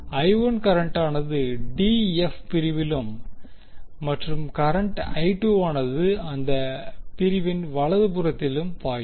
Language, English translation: Tamil, I1 is flowing in the d f segment and I2 is flowing in the right side of the segment